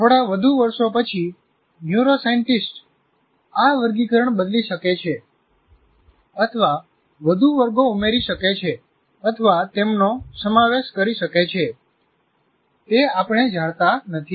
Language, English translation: Gujarati, Maybe after a few years, again, neuroscientists may change this classification or add more classes or merge them, we don't know